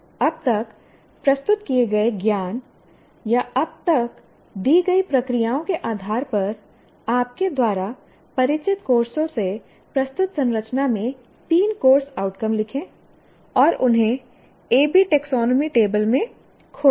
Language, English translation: Hindi, Now based on the knowledge presented till now or based on the procedures that we have given till now, write three course outcomes in the structure presented from the courses you are familiar with and locate them in the A